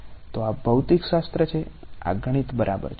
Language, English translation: Gujarati, So, this is physics this is math ok